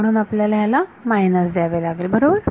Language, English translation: Marathi, So, we have we have minus to get this all right